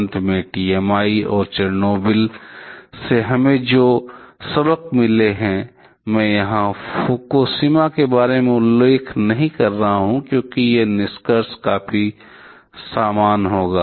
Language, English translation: Hindi, Finally, the lessons that we have received from TMI and Chernobyl; I am not mentioning about Fukushima here, because a conclusions will be quite similar